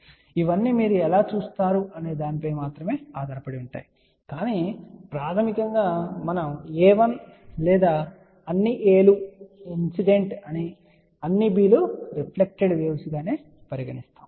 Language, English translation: Telugu, So, it all depends how you look at it but basically we just say that a 1 or all a's are incident wave all b's are reflected wave